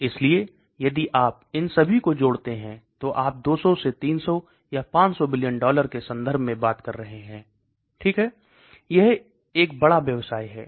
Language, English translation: Hindi, So if you add up all these you are talking in terms of 200 to 300 or even 500 billion dollars okay that is a big business